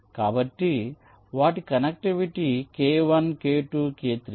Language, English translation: Telugu, so their connectivity can be k one, k two, k three